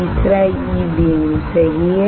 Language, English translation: Hindi, 3 E beam right